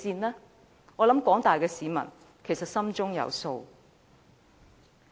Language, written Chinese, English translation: Cantonese, 我相信廣大市民心中有數。, I believe the general public have a pretty good idea about it